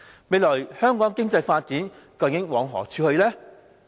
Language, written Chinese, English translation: Cantonese, 未來香港經濟發展究竟往何處去呢？, Where is Hong Kongs economic development going?